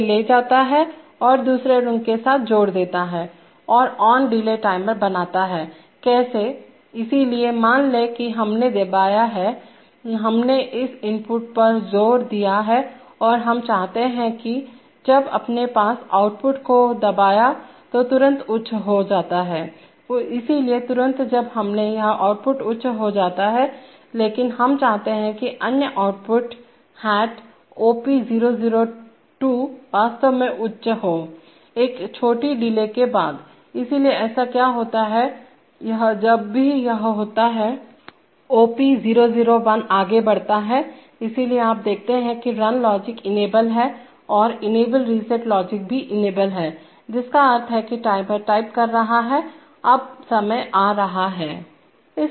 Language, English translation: Hindi, Takes it and couples it with another rung and makes an ON delay timer, how, so suppose we pressed, we asserted this input and we want that, so immediately when you asserted this output goes high, so immediately when we asserted this output goes high but we want that the other output hat is OP002 actually go high, after a short delay, so what happens is that, this, whenever this OP001 goes on, so you see that the run logic is enabled and the enable reset logic is also enabled, which means that the timer is typing, is timing now